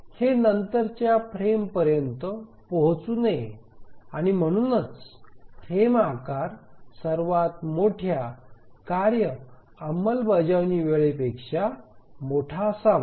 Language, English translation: Marathi, And that's the reason a frame size should be larger than the largest task execution time